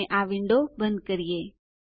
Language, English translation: Gujarati, and close this window